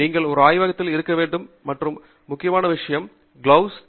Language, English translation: Tamil, The other most common thing that you should have in a lab is, you know, a set of gloves